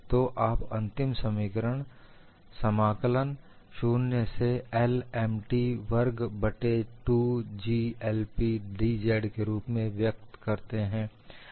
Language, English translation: Hindi, So, you get the final expression as integral 0 to l M t squared divided by 2 G I P d z